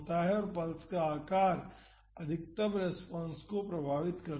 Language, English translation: Hindi, And, the pulse shape influences the maximum response